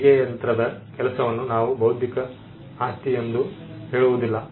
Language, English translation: Kannada, We do not say the work of the sewing machine as something intellectual property